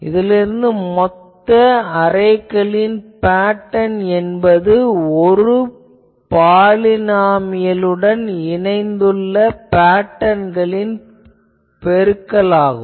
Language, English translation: Tamil, Also so, the total arrays pattern is the product of the patterns associated with each polynomial by itself